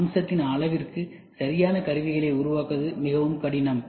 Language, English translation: Tamil, Exact to the feature size, it is very difficult to make tools